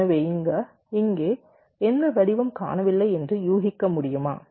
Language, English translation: Tamil, so can you guess which pattern is missing here